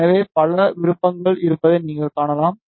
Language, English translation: Tamil, So, you can see there were too many options